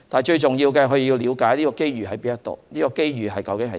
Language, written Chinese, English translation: Cantonese, 最重要是了解機遇何在，以及這機遇究竟為何。, What is most important to them is to understand where and what the opportunities are